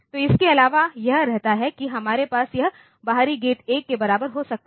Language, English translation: Hindi, Apart from that we can have this external gate equal to 1